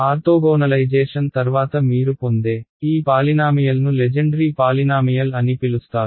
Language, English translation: Telugu, These polynomials that you get after orthogonalization are called so called Legendre polynomials ok